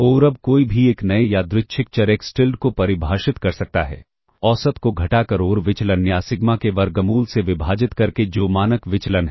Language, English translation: Hindi, And now, one can define a new random variable Xtilda by subtracting the mean and dividing by the square root of the variance or sigma, which is the standard deviation ok